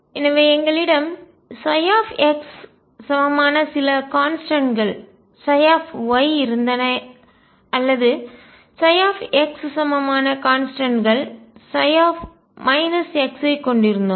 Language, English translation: Tamil, So, we had psi x equal sum constants psi y or we had psi x equals sum constant psi minus x